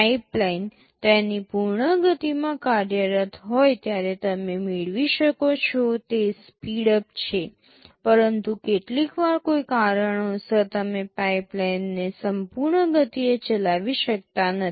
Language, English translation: Gujarati, It is the speedup you can get when the pipeline is operating in its full speed, but sometimes due to some reason, you cannot operate the pipeline at full speed